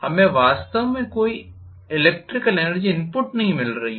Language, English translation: Hindi, We are really not getting any electrical energy input